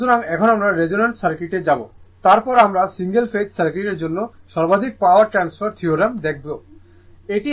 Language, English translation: Bengali, So, a circuit now we will go to the resonance circuit then we will see the maximum power factor theorem for single phase this is circuit